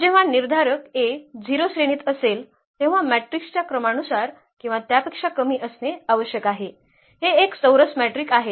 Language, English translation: Marathi, So, when determinant A is 0 the rank has to be less than or equal to the order of the matrix here it is a square matrix